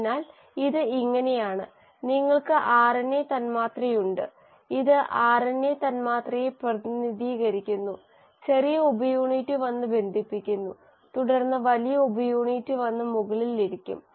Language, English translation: Malayalam, So, it is like this; you have the RNA molecule, let us say this represents the RNA molecule, the small subunit comes and binds and then the big subunit will come and sit on top